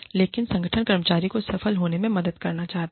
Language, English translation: Hindi, But, the organization, wants to help the employee, succeed